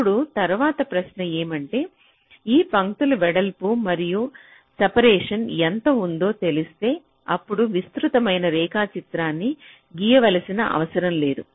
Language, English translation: Telugu, now the next question is: if we already know how much should be the width and the separation of these lines, then we need not require to draw such elaborate diagram